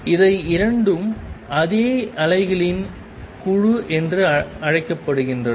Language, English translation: Tamil, And both of these are answered by something call the group of waves